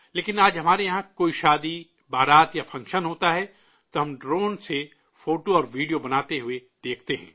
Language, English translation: Urdu, But today if we have any wedding procession or function, we see a drone shooting photos and videos